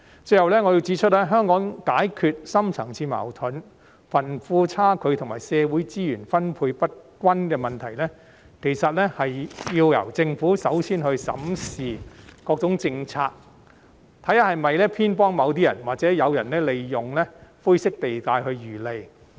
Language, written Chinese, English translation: Cantonese, 最後，我要指出，香港要解決深層次矛盾、貧富差距和社會資源分配不均等問題，其實要由政府首先審視各項政策，看看有否偏幫某些人，或者是否有人利用灰色地帶來漁利。, Finally I need to point out that if Hong Kong wants to resolve such issues as deep - seated conflicts wealth disparity and unequal distribution of social resources it is necessary for the Government to first examine various policies to see whether they have been biased in favour of anyone or whether anyone has profited from the grey areas in the policies